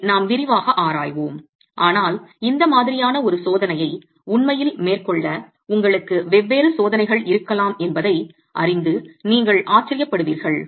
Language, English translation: Tamil, We will be examining these in detail, but you will be surprised to know that you can have different tests to actually carry out this sort of a test